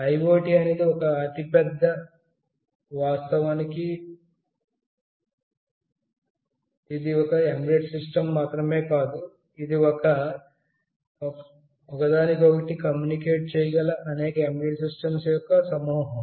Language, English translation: Telugu, IoT constitutes the larger picture, of course it is not only one embedded system, it is a collection of many embedded systems that can communicate among each other as well